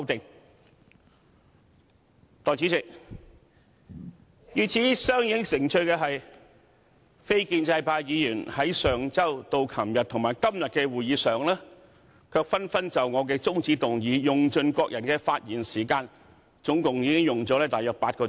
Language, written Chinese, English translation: Cantonese, 代理主席，與此相映成趣的是，非建制派議員在上周至昨天及今天的會議上，卻紛紛就我的中止待續議案，用盡各人的發言時間，總共用了大約8小時。, Deputy President it is interesting to note that non - establishment Members spoke on my adjournment motion one after another at the meetings held last week yesterday and today; and each of them have used up their speaking time . Altogether they spent a total of eight hours